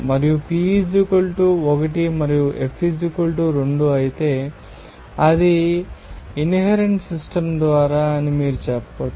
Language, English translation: Telugu, And if P = 1 and F = 2, then you can say that it is by inherent system